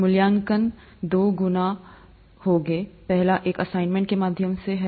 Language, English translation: Hindi, The evaluation would be two fold, the first one is through assignments